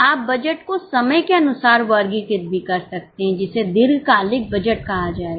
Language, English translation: Hindi, You can also classify the budgets as per the timeline that will be called as a long term budget